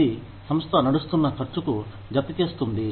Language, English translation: Telugu, It adds, to the cost of running a company